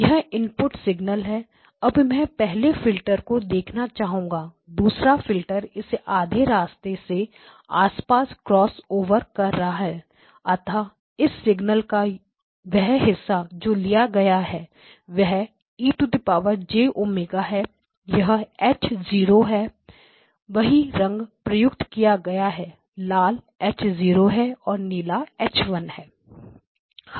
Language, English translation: Hindi, Now want to look at the first filter, crosses over like this second filter crosses over there, somewhere around the halfway points so the portion of the signal that has been picked up by the low pass filter that is X0 e of j omega, so this is H0 use the same colors, red is H0 and blue is H1